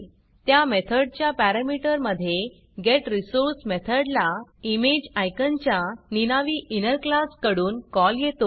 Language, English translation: Marathi, The parameter of that method contains a call to the getResource() method on an anonymous inner class of ImageIcon